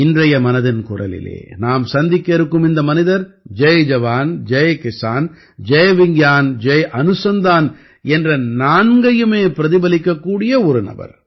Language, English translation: Tamil, In 'Mann Ki Baat', today's reference is about such a person, about such an organization, which is a reflection of all these four, Jai Jawan, Jai Kisan, Jai Vigyan and Jai Anusandhan